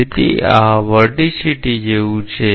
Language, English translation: Gujarati, So, this is like the vorticity